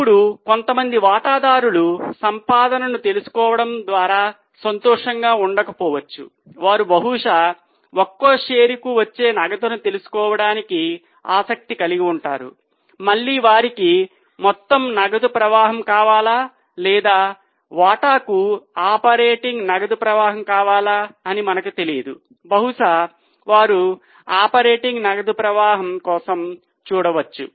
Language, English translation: Telugu, Now some shareholders may not be happy just by knowing the earning, they would probably be interested in knowing the cash generated per share again we don't know whether they want total cash flow or whether they want operating cash flow per share probably they are looking for operating cash flow so let us go for this is a new formula so So, note the formula, cash flow per share the cash flow from operating activity per share basis